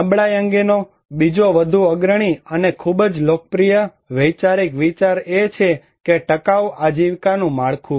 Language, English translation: Gujarati, There is another more prominent and very popular conceptual idea of vulnerability is the sustainable livelihood framework